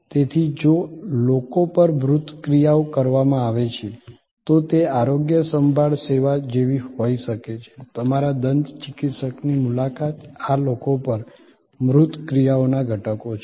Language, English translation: Gujarati, So, if tangible actions are performed on people, then it could be like a health care service, your visit to your dentist, these are elements of tangible actions on people